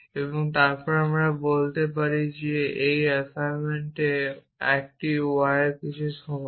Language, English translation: Bengali, And then we can say that in this assignment a y is equal to something